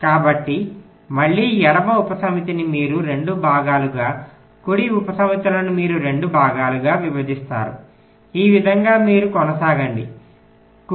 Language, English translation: Telugu, so again, the left subset you divide into two parts, right subsets you divide in two parts